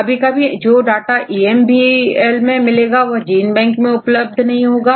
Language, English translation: Hindi, Sometimes you get the data from EMBL may not be available in GenBank